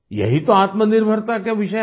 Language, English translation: Hindi, This is the basis of selfreliance